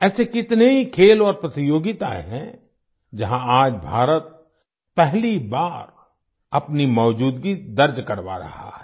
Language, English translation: Hindi, There are many such sports and competitions, where today, for the first time, India is making her presence felt